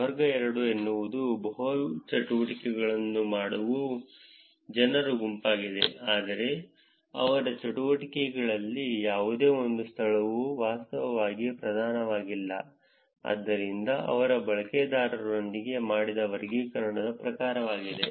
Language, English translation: Kannada, Class 2 is a set of people where multiple activities are done, but no single location is actually predominant in their activity, so that is the kind of classification that they made with the users